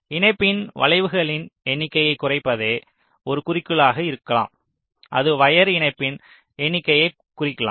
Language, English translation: Tamil, so so one objective may be to reduce the number of bends in the connection, which may indicate number of wire connection